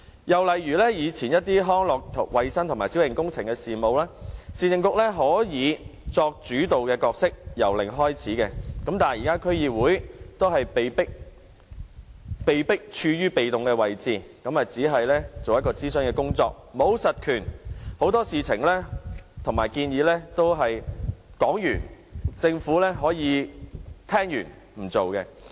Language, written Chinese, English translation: Cantonese, 又以康樂、衞生、小型工程等事務為例，以往市政局可作主導角色，由零開始，但現在區議會卻被迫處於被動位置，只能進行諮詢工作，沒有實權，對很多事情和建議也只可以提出意見，政府聽完也可以不實行。, Taking the district affairs of recreational hygiene and minor works as another example the previous Urban Council could play a leading role and could start such works from scratch . However the current DCs are forced to remain in a very passive position for they are only advisory bodies with no real powers . They can only put forward their views on many matters and recommendations while the Government may not implement them after giving them audience